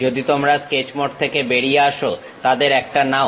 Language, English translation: Bengali, If you come out of sketch mode pick one of them